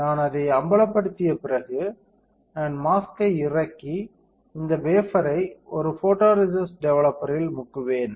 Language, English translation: Tamil, After I expose it, I will unload the mask and dip this wafer in a photoresist developer